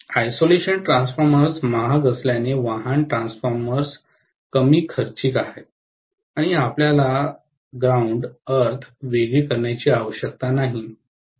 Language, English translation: Marathi, Because isolation transformers are costlier, auto transformers are less costly and you do not need to separate the earth